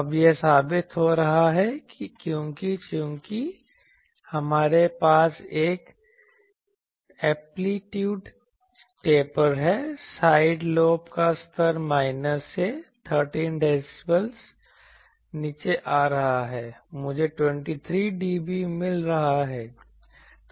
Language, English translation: Hindi, Now, it is being proved you see that in since we have a amplitude taper side lobe level is coming down from minus 13 dB, I am getting 23 dB